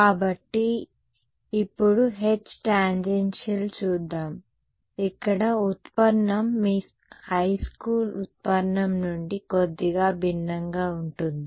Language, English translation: Telugu, So, now, let us look at the H tan, here is where the derivation differs a little bit from your high school derivation